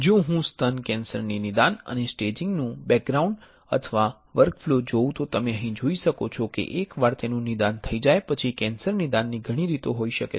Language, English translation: Gujarati, If I see the background or workflow of diagnosis and staging of breast cancer then you can see here that once it is diagnosed there can be many ways of diagnosing cancer